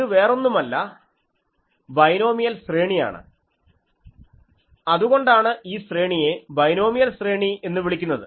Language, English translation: Malayalam, So, this is nothing but binomial series so, that is why this array is called binomial array